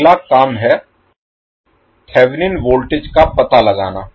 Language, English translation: Hindi, Next task is, to find out the Thevenin voltage